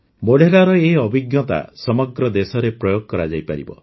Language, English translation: Odia, Modhera's experience can be replicated across the country